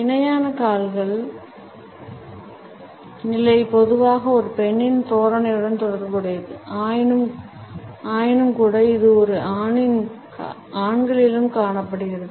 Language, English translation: Tamil, The parallel leg position is normally related with a feminine posture, but nonetheless it can be found in men also